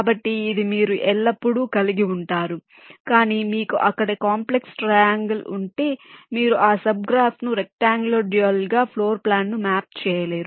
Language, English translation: Telugu, but if you have a complex triangle there, you cannot map that sub graph into a rectangular dual, into a floor plan